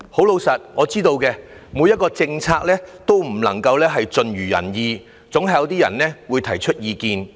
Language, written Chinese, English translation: Cantonese, 老實說，我知道沒有一項政策能夠盡如人意，總會有一些人提出意見。, Honestly I understand that no policy can fully satisfy all the people; people are somehow bound to find fault with them